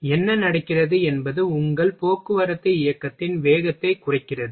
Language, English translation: Tamil, So, what happens it slows down your motion of transportation motion